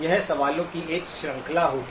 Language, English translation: Hindi, It will be a series of questions